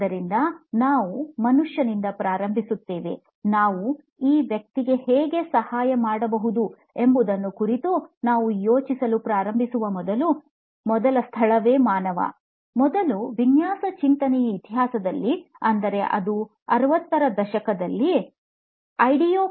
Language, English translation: Kannada, So where we start is the human, the human is the first place where we start thinking about how can we help this person, first the history of design thinking is that it started off as a discipline may be in the 60s, ideo